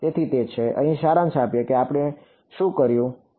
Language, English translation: Gujarati, So that is so, summarize over here let us what we did we looked at the